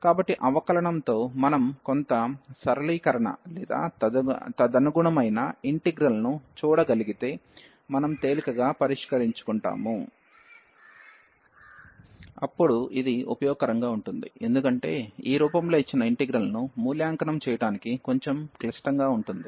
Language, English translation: Telugu, So, with the differentiation if we can see some a simplification or the resulting integral, we can easily solve then this going to be useful, because the integral given in this form is its a little bit complicated to evaluate